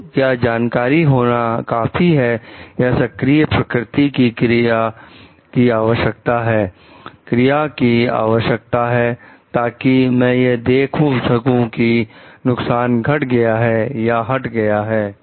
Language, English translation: Hindi, So, is knowledge enough or an action proactive nature is required, action is required so that I see that the hazard is getting reduced or eliminated